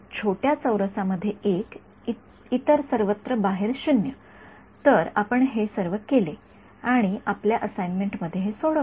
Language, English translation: Marathi, One inside a little square, 0 everywhere else out right; so, you all done this and solved for this your, in your assignments